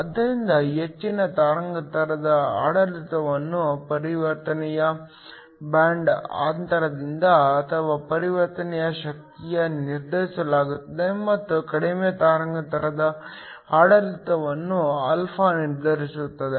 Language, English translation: Kannada, So, the higher wavelength regime is determined by the band gap of the transition or the energy of the transition and the lower wavelength regime is determined by α